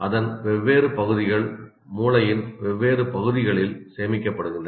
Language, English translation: Tamil, Different bits of that are stored in different parts of the brain